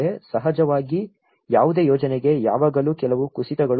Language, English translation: Kannada, Of course, for any project, there are always some downturns